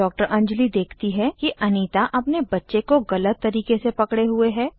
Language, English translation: Hindi, Anjali notices Anita is holding her baby in a wrong way